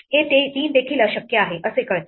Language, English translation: Marathi, It turns out that three is also impossible